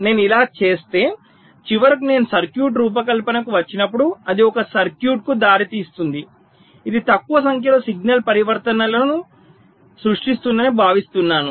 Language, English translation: Telugu, if i do this, it is expected that when i finally come to the designing of the circuit, it will result in a circuit which will be creating less number of signal transitions